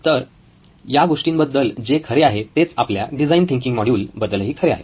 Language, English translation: Marathi, So that’s something that are true with stories, is true with our design thinking module as well